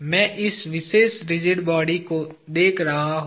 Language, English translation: Hindi, I am looking at this particular rigid body